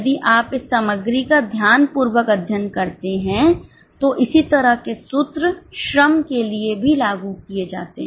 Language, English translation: Hindi, If you study this material carefully, similar formulas are applied for labour also